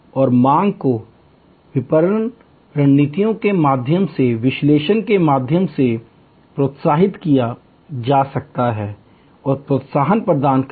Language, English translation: Hindi, And demand can be manage through analysis a patterns through marketing strategies by providing incentives and so on